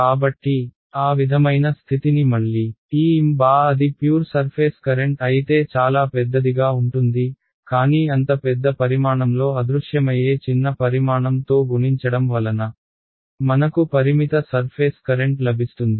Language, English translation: Telugu, So, to sort of state that again this; M hat if it is a pure surface current is going to be very very large, but this very large quantity multiplied by a vanishingly small quantity is what is going to give me a finite surface current